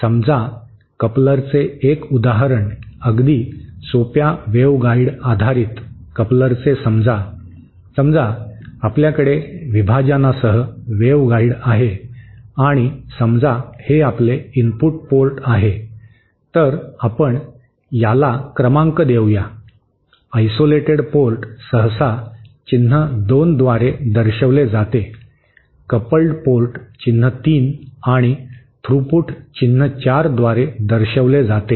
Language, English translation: Marathi, So, one example of a coupler, a very simple waveguide based coupler is suppose, suppose we have a waveguide with the partition in between and suppose this is our input port, let us number this, isolated port is usually represented by the symbol 2, coupled port is represented by the symbol 3 and throughput by the symbol 4